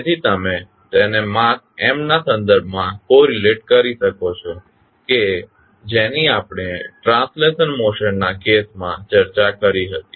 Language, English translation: Gujarati, So, you can correlate it with respect to the mass m which we discussed in case of translational motions